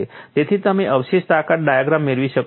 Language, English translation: Gujarati, And you have to get a residual strength diagram